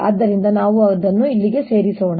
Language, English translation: Kannada, so let's put them here